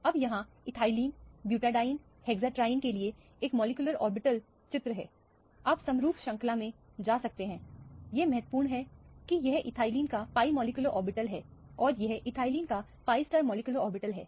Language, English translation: Hindi, Now, here is a molecular orbital picture for ethylene, butadiene and hexatriene, you can go on in the homologous series; what is important is that this is the pi molecular orbital of ethylene and this is a pi star molecular orbital of ethylene